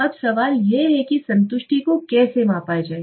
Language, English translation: Hindi, Now the question is how do I measure satisfaction